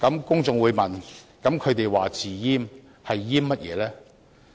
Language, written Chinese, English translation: Cantonese, 公眾又會問，那麼他們說"自閹"是"閹"甚麼呢？, Some members of the public may ask What do they mean by self - castration? . What is being castrated?